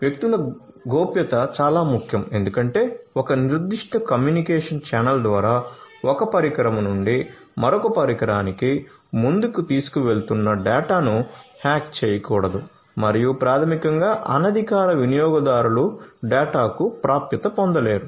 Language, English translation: Telugu, Privacy of the individuals is very important because the data that are being carried forward from one device to another through a particular communication channel should not be you know should not be hacked and you know so basically unauthorized users should not be able to get access to the data